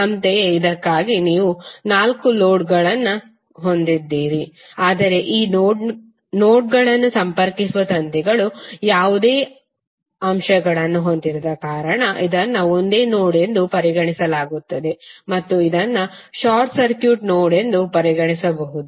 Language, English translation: Kannada, Similarly for this also you have four nodes but it is consider as a single node because of the wires which are connecting this nodes are not having any elements and it can be consider as a short circuit node